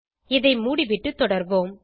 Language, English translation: Tamil, So lets close this and move on